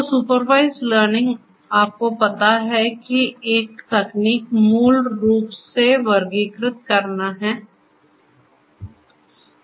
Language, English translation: Hindi, So, supervised learning you know one technique is to basically classify the other one is to do regression